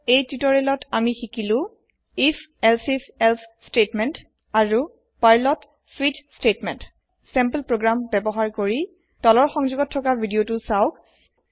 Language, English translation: Assamese, In this tutorial, we have learnt if elsif else statement and switch statement in Perl using sample programs